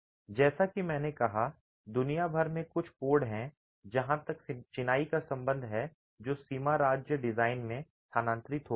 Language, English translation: Hindi, As I said, there are few codes across the world as far as masonry is concerned that have moved into limit state design